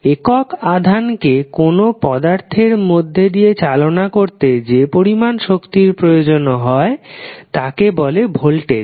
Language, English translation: Bengali, Voltage will be defined as the energy required to move unit charge through an element